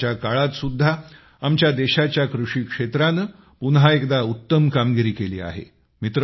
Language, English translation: Marathi, Even in this time of crisis, the agricultural sector of our country has again shown its resilience